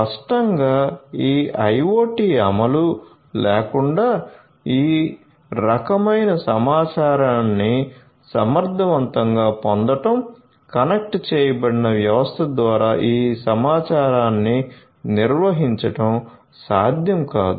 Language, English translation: Telugu, So, obviously, without this IoT implementation efficiently effectively getting all of these types of information managing these information over a connected system would not be possible